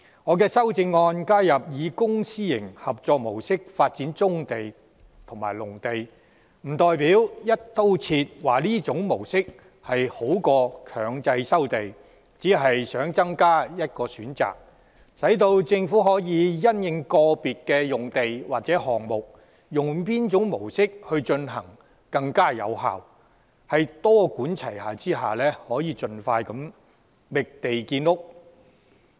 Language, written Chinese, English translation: Cantonese, 我的修正案加入以公私營合作模式來發展棕地和農地，並不代表我"一刀切"地認為這種模式比強制收地好，我只是想增加一項選擇，讓政府可因應個別用地或項目而採用較有效的模式，多管齊下地盡快覓地建屋。, While I have incorporated in my amendment the idea of adopting a public - private partnership approach in the development of brownfield sites and agricultural lands it does not mean that I find such an approach superior over mandatory resumption in all cases . I simply wish to float an additional option so that the Government can adopt the more effective model for a specific site or project in a multi - pronged approach to expedite the identification of sites for housing construction